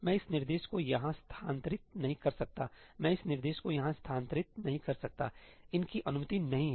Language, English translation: Hindi, I cannot move this instruction here, I cannot move this instruction here; these are not allowed